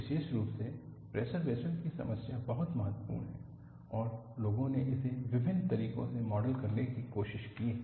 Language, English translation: Hindi, Particularly, the pressure vessel problem is very very important and people have tried to model this in various ways